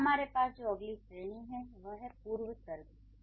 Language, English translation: Hindi, And then the next category that we have is preposition